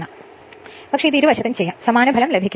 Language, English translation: Malayalam, But let me tell you one thing, it can be done on either side; you will get the same result right